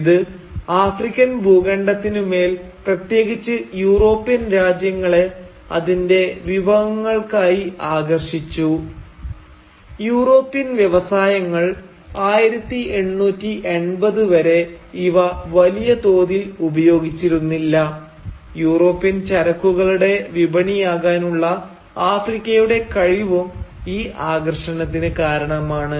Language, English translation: Malayalam, This made the continent of Africa especially alluring to the European countries both for its resources, which till the 1880’s had largely remained untapped by the European industries, and for its potential as a market for European commodities